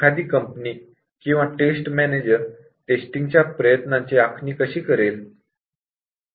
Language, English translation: Marathi, So, how would the company or the test manager plan the test effort